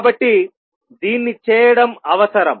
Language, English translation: Telugu, So, it is necessary to do this